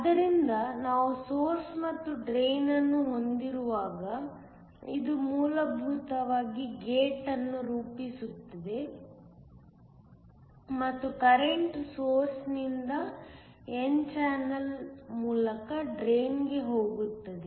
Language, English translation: Kannada, So, this essentially forms the gate while we had a source and the drain and the current went from the source to the drain through the n channel